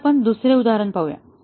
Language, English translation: Marathi, Now, let us look at another example